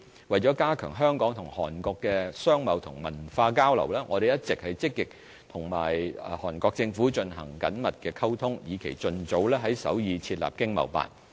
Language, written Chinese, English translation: Cantonese, 為加強香港與韓國的商貿和文化交流，我們一直積極與韓國政府進行緊密溝通，以期盡早在首爾設立經貿辦。, In order to strengthen our trading ties and cultural exchanges with Korea we have been actively liaising with the Korean Government to set up an ETO in Seoul as early as feasible